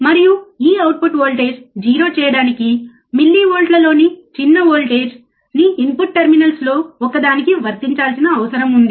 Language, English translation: Telugu, And to make this output voltage 0, a small voltage in millivolts a small voltage in millivolts is required to be applied to one of the input terminals, alright